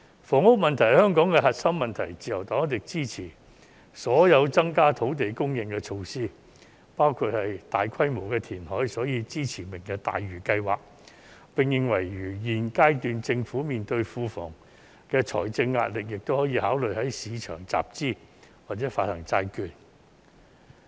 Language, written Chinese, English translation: Cantonese, 房屋是香港的核心問題，自由黨一定支持所有增加土地供應的措施，包括大規模填海，所以我們支持"明日大嶼"計劃，並認為如現階段政府庫房面對財政壓力，亦可以考慮在市場集資或者發行債券。, Housing is a core issue in Hong Kong . The Liberal Party will definitely support any measure to increase land supply including large - scale reclamation . Hence we support the Lantau Tomorrow project and hold that capital raising or issuance of bonds can be considered if the Treasury is under financial pressure at this stage